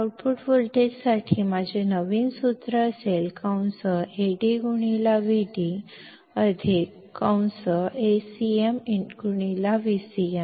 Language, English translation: Marathi, So, my new formula for the output voltage will be Ad into Vd plus Acm into V cm